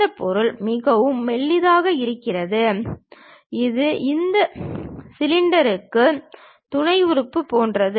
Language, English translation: Tamil, This part is very thin, it is more like a supporting element for this cylinder